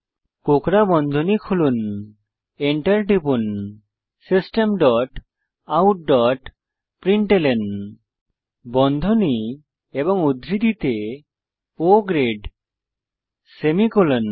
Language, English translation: Bengali, Open curly brackets press enter System dot out dot println within brackets and double quotes O grade semicolon